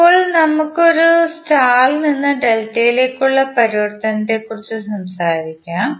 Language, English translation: Malayalam, Now, let us talk about star to delta conversion